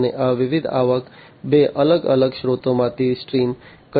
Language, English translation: Gujarati, And these different revenues could be streamed from two different sources